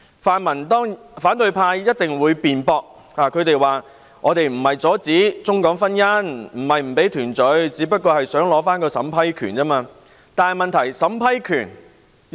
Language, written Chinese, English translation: Cantonese, 反對派一定會辯駁，說不是阻止中港婚姻、不讓他們團聚，只是想取回單程證審批權而已。, The opposition will certainly argue that they do not mean to obstruct Mainland - Hong Kong marriages or the reunion of those families but just want to take back the power to approve OWPs